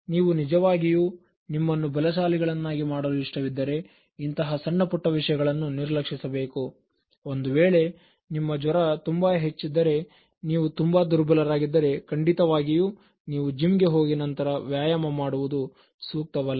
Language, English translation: Kannada, If you really want to make yourself stronger, you should ignore these slight ones, of course if your fever is very high and then even you feel very weak so it is not advisable to go to the gym and then exert yourself